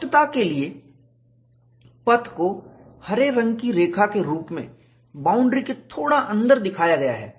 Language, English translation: Hindi, For clarity, the path is shown slightly inside the boundary as a green line